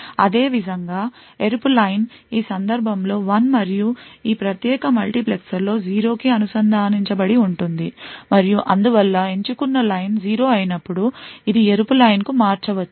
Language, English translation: Telugu, Similarly the red line is connected to 1 in this case and 0 in this particular multiplexer and therefore when the select line is 0, it is a red line that can switch